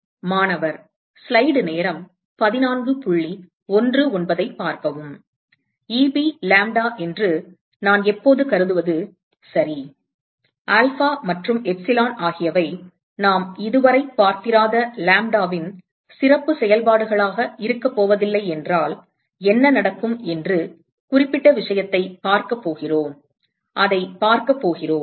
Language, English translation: Tamil, Right I have always assumed that Eb lambda, and we are going to look at that particular case what happens when alpha and epsilon are not going to be a special functions of lambda that we have not seen yet, we are going to see that